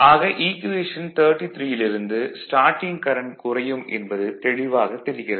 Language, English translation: Tamil, Now, for equation 33 it is clear that starting current will reduce right